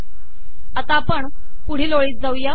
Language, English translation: Marathi, Go to the next line